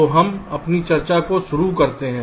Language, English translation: Hindi, so we start our discussions